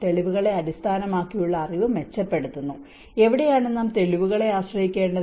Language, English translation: Malayalam, And improving the evidence based knowledge: where we have to rely on the evidence based